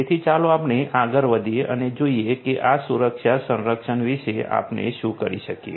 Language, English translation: Gujarati, So, let us proceed further and see what we can do about this security protection